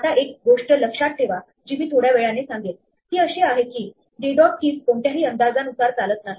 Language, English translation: Marathi, Now one thing we have to keep in mind which I will show in a minute is that d dot keys not in any predictable order